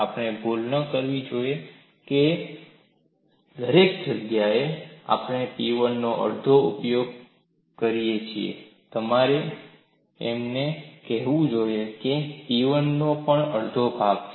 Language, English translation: Gujarati, We should not make a mistake, everywhere we use half of P 1, you should not say that this is also half of P1; it is actually P1 into d v